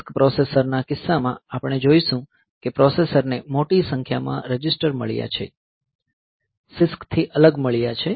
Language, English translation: Gujarati, In case of RISC processors, we will find that the processor has got large number of registers; unlike CISC